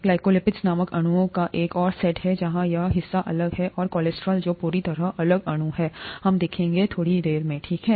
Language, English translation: Hindi, There is another set of molecules called glycolipids where this part is different and cholesterol which is completely different molecule, we will see that in a little while, okay